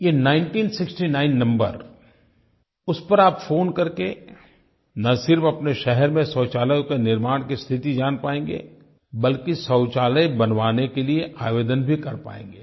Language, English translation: Hindi, By dialing this number 1969 you will be able to know the progress of construction of toilets in your city and will also be able to submit an application for construction of a toilet